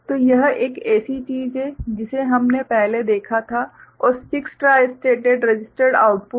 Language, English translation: Hindi, So, this is the kind of thing which we had seen before alright and 6 tristated registered outputs ok